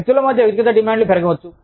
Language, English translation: Telugu, Inter personal demands, could go up